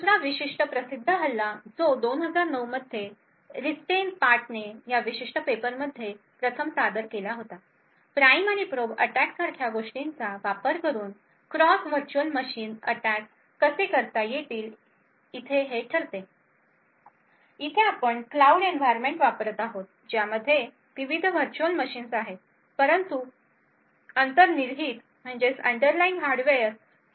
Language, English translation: Marathi, Another very famous attack which was first presented in this particular paper by Ristenpart in 2009, determines how cross virtual machine attacks can be done using something like the prime and probe attack, here we are using a cloud environment which have different virtual machines but the underlying hardware is the same